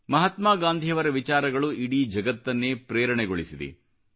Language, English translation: Kannada, Mahatma Gandhi's philosophy has inspired the whole world